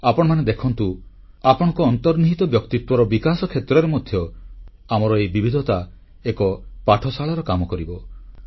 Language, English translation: Odia, You may see for yourself, that for your inner development also, these diversities of our country work as a big teaching tool